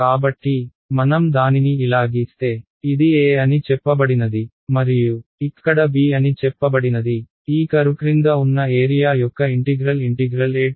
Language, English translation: Telugu, So, if I draw it like this, if this is say a and this is say b over here then the area under this curve is what is the integral of a to b f x dx ok